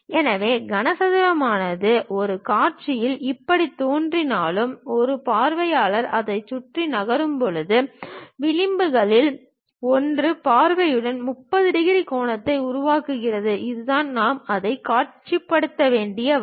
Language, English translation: Tamil, So, though the cube might looks like this in one of the view; we have to rotate in such a way that, as an observer moves around that, so that one of the edges it makes 30 degrees angle with the view, that is the way we have to visualize it